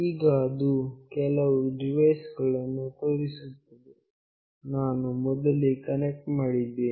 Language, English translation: Kannada, Now, it is showing that there are some devices, as I have already connected previously